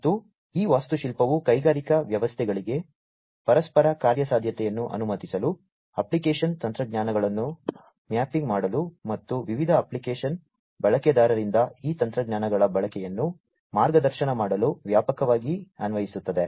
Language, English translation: Kannada, And this architecture broadly applies in the industrial systems to allow interoperability, mapping application technologies, and in guiding the use of these technologies by different application users